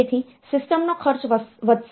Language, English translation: Gujarati, So, the cost of the system will go up